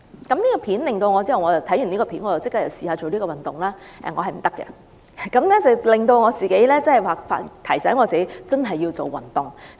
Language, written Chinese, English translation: Cantonese, 我看罷該段短片後立即嘗試做該套動作，結果發現我原來做不來，這正好提醒我要切實開始做運動。, After watching the clip I immediately took the challenge but I failed and this reminded me of the need to take action to start doing exercise